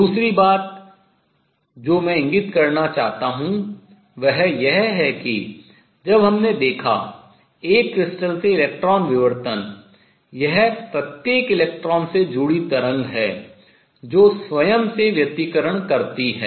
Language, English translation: Hindi, Other thing which I wish to point out is that when we looked at electron diffraction from a crystal it is the wave associated with each electron that interferes with itself